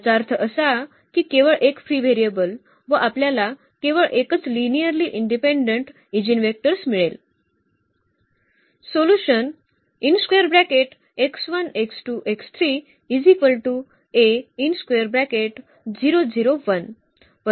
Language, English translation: Marathi, So, there are two free variables, meaning 2 linearly independent eigenvectors